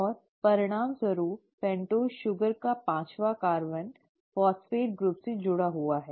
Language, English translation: Hindi, And the fifth carbon of the pentose sugar in turn is attached to the phosphate group